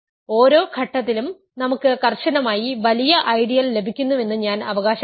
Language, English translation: Malayalam, I claim that each stage we get a strictly bigger ideal